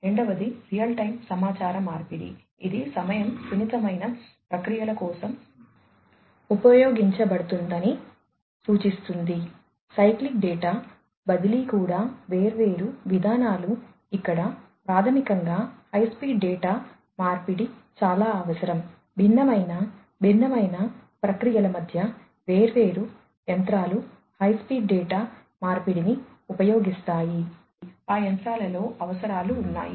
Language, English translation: Telugu, Second is real time communication as the name suggests used for time sensitive processes, such as cyclic data transfer even different procedures, where basically high speed data exchange is very much required, between different, maybe different processes, different machinery use high speed data exchange requirements are there in those machinery